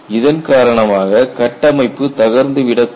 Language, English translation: Tamil, Because of this, the structure may collapse